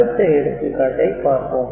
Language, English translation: Tamil, So, we take this example